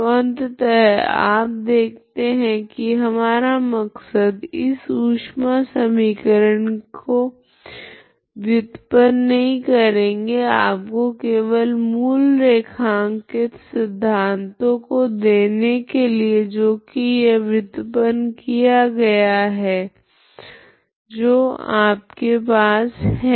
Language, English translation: Hindi, So finally you see that our intention is not to derive this heat equation just give you the basic underlying principles based on which this is derived so you have a ut